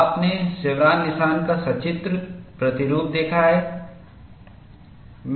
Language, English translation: Hindi, You have seen the pictorial representation of the chevron notch